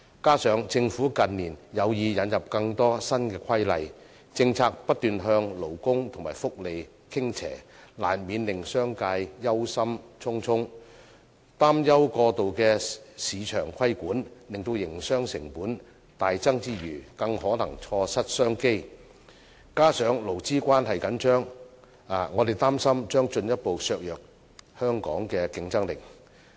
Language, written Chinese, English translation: Cantonese, 此外，政府近年有意引入更多新規例，政策不斷向勞工和福利傾斜，難免令商界憂心忡忡，擔憂過度的市場規管令營商成本大增之餘，更可能錯失商機，加上勞資關係緊張，我們擔心將進一步削弱本港的競爭力。, Besides in recent years the Government has shown an intention to introduce more new rules and keeps tilting its policies towards labour and welfare benefits . This has inevitably aroused the concern of the business sector about the possible surge of operational cost and even the loss of business opportunities due to excessive market regulation . All this coupled with the tense employee - employer relationship has given rise to our concern about the further weakening of Hong Kongs competitiveness